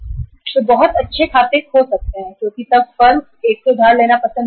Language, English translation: Hindi, They may lose very good accounts because then the firms would not like to borrow from one bank say X bank